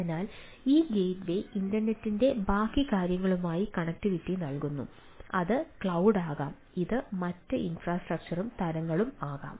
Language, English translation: Malayalam, so these gateway provides a connectivity with the ah rest of the thing, rest of the internet, right, it can be cloud, it can be other infrastructure and type of things